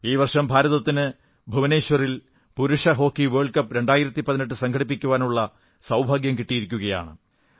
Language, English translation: Malayalam, This year also, we have been fortunate to be the hosts of the Men's Hockey World Cup 2018 in Bhubaneshwar